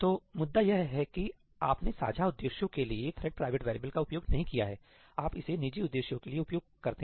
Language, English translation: Hindi, So, the point is that you do not used thread private variables for sharing purposes; you use it for private purposes